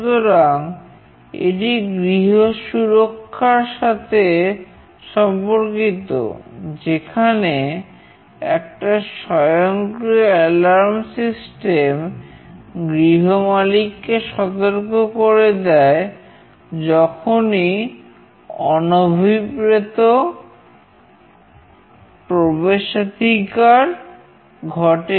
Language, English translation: Bengali, So, this is related to home security where an automated alarm generation system warns the owner of the house whenever an unauthorized access takes place